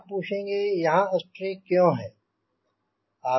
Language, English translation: Hindi, now you will ask me why there is a strake